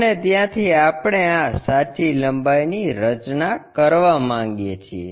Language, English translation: Gujarati, And, from there we would like to construct this true length